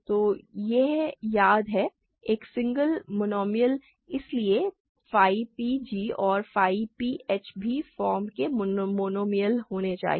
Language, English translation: Hindi, So, this is remember, a single monomial, so phi p g and phi p h must be must also be monomials of the form